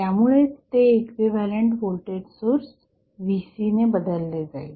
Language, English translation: Marathi, So, that is why it is replaced with the equivalent voltage source Vc